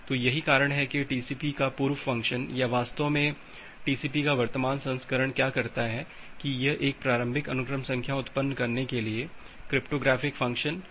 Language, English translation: Hindi, So, that’s why the later function of the TCP or indeed the current version of the TCP what it does, that it uses the cryptographic function to generate the initial sequence numbers